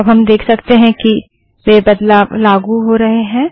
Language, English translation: Hindi, Now we can see that changes are applying